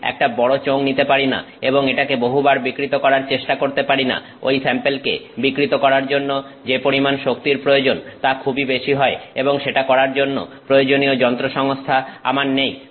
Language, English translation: Bengali, I cannot take a big cylinder and keep on trying to deform it in multiple times, the amount of energy that is required to deform that sample is going to be very huge and I am I may not have the machinery to do that